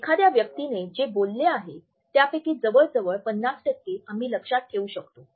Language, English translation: Marathi, We are likely to retain almost as much as 50% of what a person has talked about